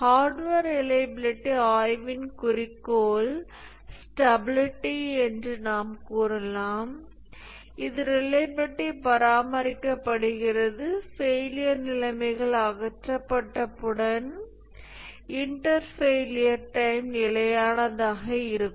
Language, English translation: Tamil, So, we can say that the goal of hardware reliability study is stability, that is the reliability is maintained or the inter failure times remain constant once the failure conditions are removed